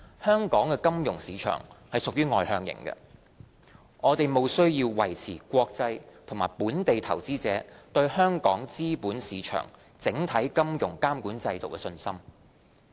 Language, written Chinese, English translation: Cantonese, 香港金融市場屬外向型，我們務須維持國際和本地投資者對香港資本市場整體金融監管制度的信心。, Given the externally - oriented nature of the financial market of Hong Kong we must maintain the confidence of both international and local investors in our overall financial regulatory regime with regard to the capital market